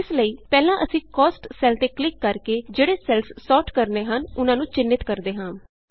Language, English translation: Punjabi, So first, we highlight the cells to be sorted by clicking on the cell Cost